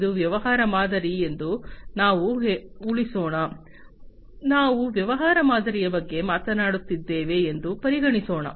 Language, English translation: Kannada, Let us assume, that this is the business model, let us consider that we are talking about the business model